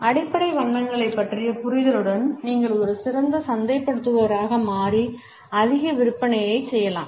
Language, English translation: Tamil, With an understanding of the basic colors, you can become a better marketer and make more sales